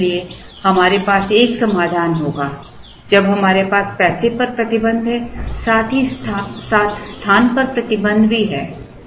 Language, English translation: Hindi, And therefore, we will have a solution, when we have restriction on the money, as well as restriction on the space